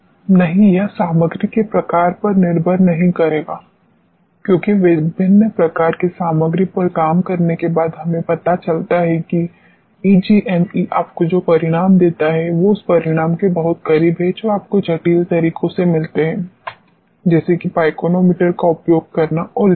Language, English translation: Hindi, No, it will not depend on the type of the material, because after working on different type of material we realize that EGME gives you the results which are very close to the result which you get from sophisticated methods, like using pycnometer and so on